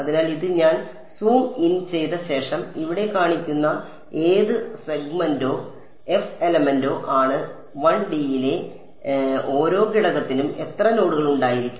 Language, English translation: Malayalam, So, this is the eth segment or the eth element which I am zooming in and then showing over here and each element in 1D will have how many nodes